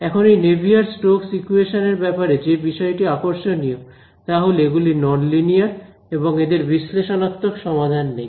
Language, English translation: Bengali, Now what is interesting about this Navier Stokes equation is that they are non linear and they do not have analytical solutions